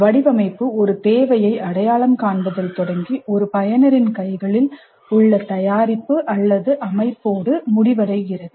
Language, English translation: Tamil, The design begins with identification of a need and ends with the product or system in the hands of a user